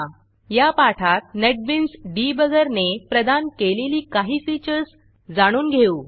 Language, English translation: Marathi, In this tutorial we will learn some of the features that the Netbeans Debugger provides